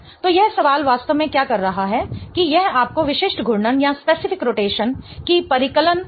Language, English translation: Hindi, So, what this question is really doing is that it is asking you to calculate specific rotation